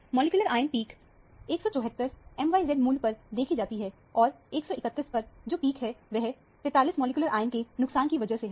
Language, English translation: Hindi, The molecular ion peak is seen at m by z value – 174 and 174 – the peak at 131 is due to the loss of 43 of the molecular ion